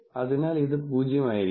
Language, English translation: Malayalam, So, this will be 0